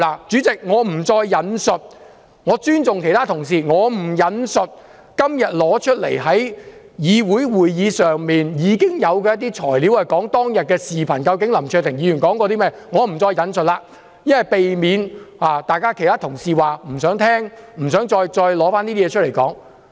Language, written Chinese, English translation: Cantonese, 主席，我不引述下去，我尊重其他同事的意見，我不引述今天提交會議的一些資料，以及有關當天林卓廷議員說過甚麼的視頻，避免其他同事說不想聽、不想再談論那些事。, President I will not quote any more . I respect the views of other Honourable colleagues . I will not quote the information submitted to the meeting today nor the video about what Mr LAM Cheuk - ting said that day lest other Honourable colleagues say they do not want to hear about or discuss those matters again